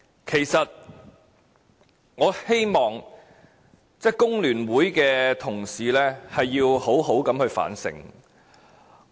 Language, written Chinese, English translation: Cantonese, 其實，我希望工聯會的同事好好地反省。, I hope colleagues from FTU can indeed reflect deeply on themselves